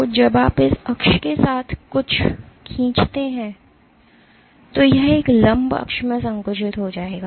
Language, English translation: Hindi, So, when you pull something along this axis, then it will get compressed in a perpendicular axis